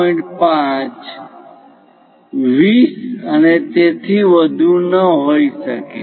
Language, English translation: Gujarati, 5, 20 and so on things